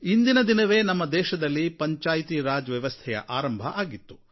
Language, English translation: Kannada, On this day, the Panchayati Raj system was implemented in our country